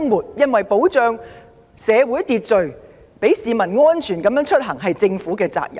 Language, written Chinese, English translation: Cantonese, 須知道維持社會秩序，讓市民安全出行是政府的責任。, It must be noted that it is the duty of the Government to maintain social order and make commute safe for citizens